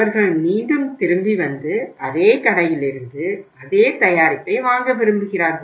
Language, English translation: Tamil, And they would like to again come back and to buy the same product from the same store